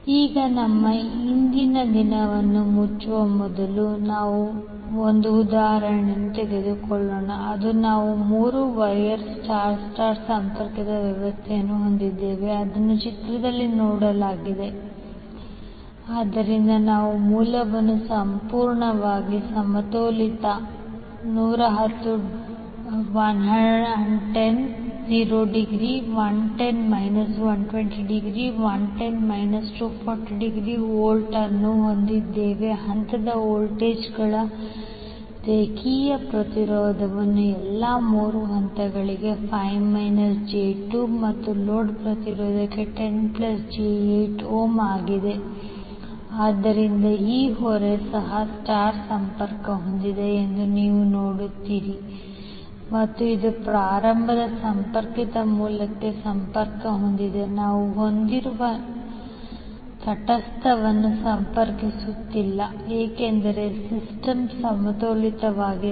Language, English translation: Kannada, Now let us take one example before closing our today’s we have three wire star star connected system which is given in the figure so we have source completely balanced 110 angle 0 degree 110 minus 120, 110 minus 240 degree volt as the phase voltages line impedance is five angle five minus J2 in all the three phases and load impedance is 10 plus J8 ohm, so you will see that this load is also star connected and it is connected to the start connected source we have we are not connecting the neutral because system is balanced